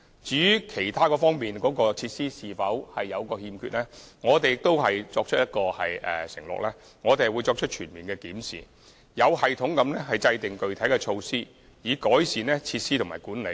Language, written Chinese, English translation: Cantonese, 至於其他方面的設施是否有所欠缺，我們承諾進行全面檢視，並有系統地制訂具體措施，以改善設施和管理。, As regards whether there is a lack of other facilities we undertake to thoroughly review the situation and systematically adopt specific measures to improve the facilities as well as the management